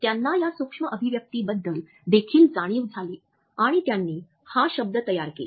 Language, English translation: Marathi, He also became conscious of these micro expressions and he coined the term